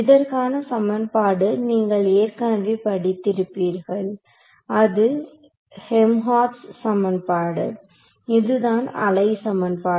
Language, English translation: Tamil, The equation for this you have already studied, it is the Helmholtz equation right a wave equation is the Helmholtz equation